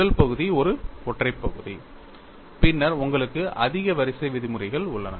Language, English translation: Tamil, First term is a singular term, then you have a higher order terms